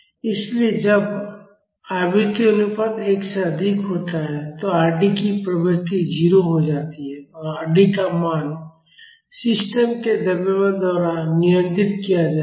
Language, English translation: Hindi, So, when the frequency ratio is higher than 1, Rd tends to 0 and the value of Rd will be controlled by the mass of the system